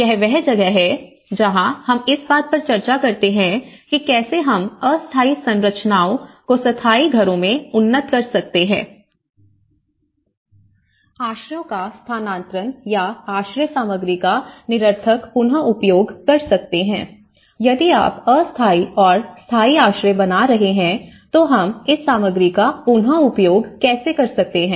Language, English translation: Hindi, And this is where they talked about how we can incrementally upgrade the temporary structures to the permanent houses, relocation of shelters or disassembly of shelter materials with meaningful reuse so because once if you are making a temporary shelters and if you are making another project of permanent shelters, what happens to this material, so how we can reuse this material